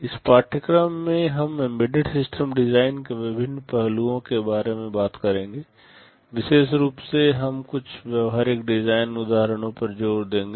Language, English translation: Hindi, In this course we shall be talking about various aspects of Embedded System Design, in particular we shall be emphasizing on some hands on design examples